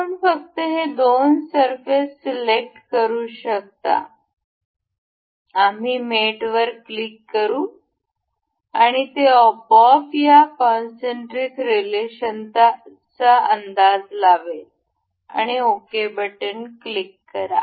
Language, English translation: Marathi, You can just select this two surfaces we will click on mate, and it automatically guesses this concentric relation and click ok